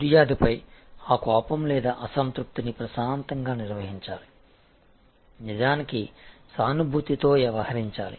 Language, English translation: Telugu, That anger or that dissatisfaction at the complaint should be handle calmly, matter of fact with empathy